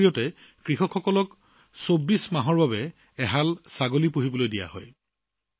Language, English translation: Assamese, Through this, farmers are given two goats for 24 months